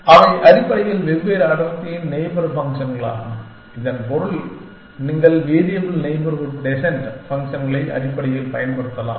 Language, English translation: Tamil, And they are neighborhood functions of different density essentially, which means that you can apply the variable neighborhood descent functions essentially